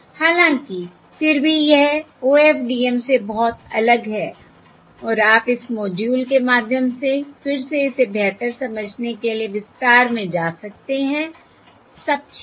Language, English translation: Hindi, However, yet it is very different from OFDM and you can go through this module again in detail to understand it better